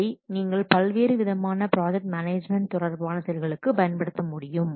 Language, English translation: Tamil, These software you can use also project management related activities